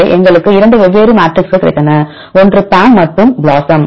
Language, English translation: Tamil, So, we got 2 different matrixes one is a PAM and the BLOSUM